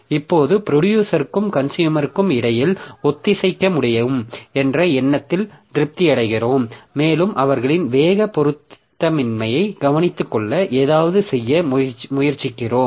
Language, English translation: Tamil, So right now we just keep ourselves satisfied with the idea that we can we can synchronize between producer and consumer and try to do something to take care of their speed mismatch